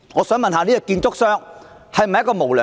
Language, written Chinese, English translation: Cantonese, 試問這家建築商是否無良？, Is it not unscrupulous of the construction company?